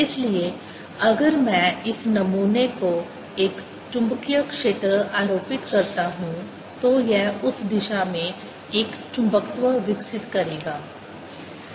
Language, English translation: Hindi, so if i take this sample, apply a magnetic field, it'll develop a magnetization in that direction